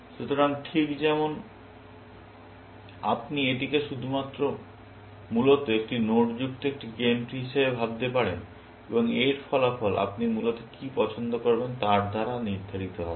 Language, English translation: Bengali, So, just like, you can think this as a game tree with only one node, essentially, and its outcome will be determined by what choice you make, essentially